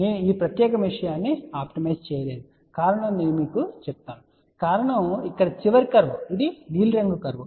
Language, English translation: Telugu, We did not optimize this particular thing for whether I will tell you the reason and the reason is the last curve here which is the blue curve